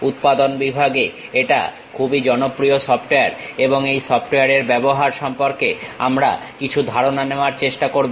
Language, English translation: Bengali, This is a quite popular software in manufacturing sector, and we will try to have some idea about this software uses also